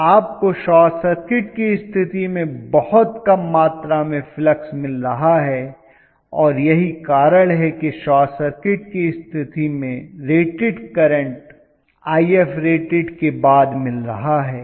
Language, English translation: Hindi, So you are going to have very very minimum amount of flux under short circuit condition and that is the reason so I have short circuited but, I am getting the rated current only beyond IF rated